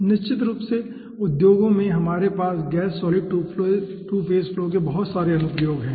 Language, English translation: Hindi, definitely, in industries we are having lots of applications of gas solid 2 phase flows